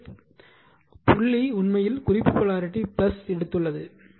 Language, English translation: Tamil, So, and dot is marked here in the reference polarity plus